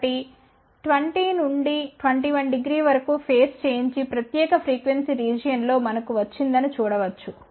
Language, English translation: Telugu, So, one can see that we have got a phase shift of around 20 21 degree in this particular frequency region